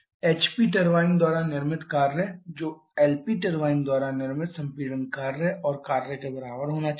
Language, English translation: Hindi, Work produced by the HP turbine which should be equal to the compression work